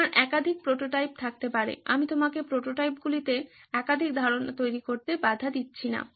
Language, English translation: Bengali, You can have multiple prototypes as well I am not stopping you from making multiple ideas into prototypes